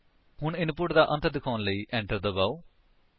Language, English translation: Punjabi, Now press Enter key to indicate the end of input